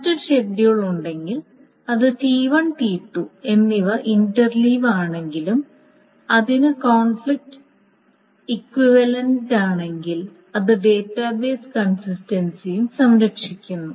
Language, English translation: Malayalam, So if there is another schedule which even though it interleaves T1 and T2 is conflict equivalent to it, then it also preserves the database consistency